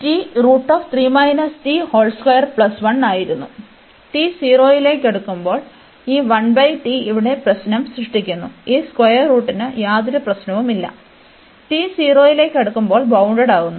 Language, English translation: Malayalam, And as t approaching to 0, so as t approaching to 0, whereas the problem this 1 over t is creating problem here there is absolutely no issues this square root, when t approaching to 0 is bounded